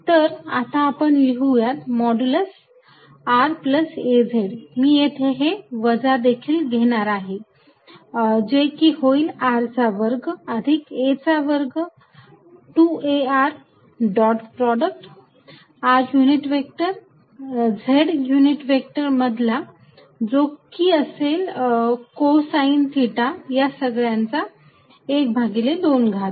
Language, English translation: Marathi, So, let us write modulus of r plus ‘az’, I am going to include minus also right here which is going to be square root of r square plus ‘a’ square plus 2 a r dot product of r unit vector with z unit vector which is going to be cosine theta raise to 1 half and for the minus sign it will be minus here